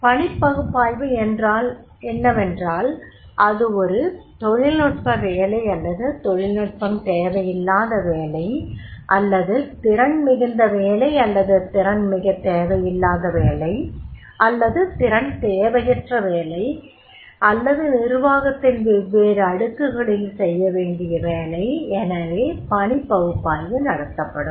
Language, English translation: Tamil, Whether it is a technical job or it is a non technical job or it is the skilled job or a semi skilled job or it is an unskilled job or it is a different layers of the management are there so that job analysis will be given